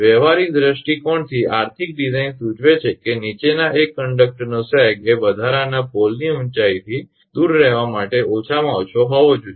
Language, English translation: Gujarati, From the practical point of view economic design dictates the following one is sag of conductor should be minimum to refrain from extra pole height